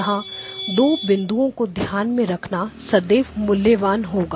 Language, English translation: Hindi, Here are 2 points that always are worth remembering